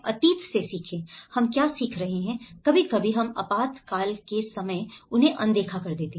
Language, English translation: Hindi, Learn from past, what are the learnings that we, sometimes we ignore them at that time of emergency